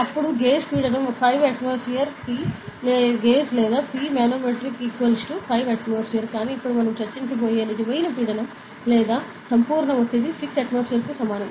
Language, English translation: Telugu, Then the gauge pressure is equal to 5 atmosphere, P gauge is or P manometric is equal to 5 atmosphere; but the real pressure or the absolute pressure that we will discuss now is equal to 6 atmosphere